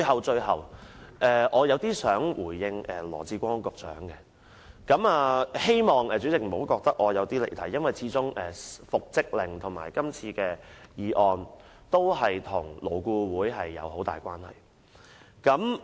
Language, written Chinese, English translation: Cantonese, 最後，我想回應羅致光局長，希望主席不要認為我離題，因為復職令及今次的議案和勞工顧問委員會有很大關係。, Lastly I wish to respond to Secretary Dr LAW Chi - kwong and I hope that the Chairman will not say that I have digressed . The order for reinstatement and the motion now under discussion are closely related to the Labour Advisory Board LAB